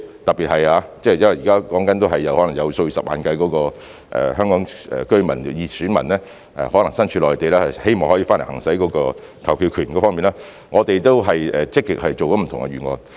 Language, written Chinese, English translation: Cantonese, 特別是因為現在所說的是，可能有數以十萬計身處內地的香港居民、選民希望可以回來行使投票權，我們已積極作出不同預案。, But in this regard we hope to facilitate those in the Mainland In particular what we are talking about is that hundreds of thousands of Hong Kong residents electors in the Mainland may probably wish to come back and exercise their voting right . We have proactively formulated various plans